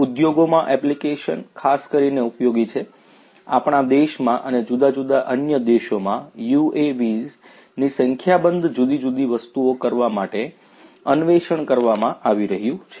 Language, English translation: Gujarati, Applications in the industries are particularly useful; in our country and different other countries UAVs are being explored to do number of different things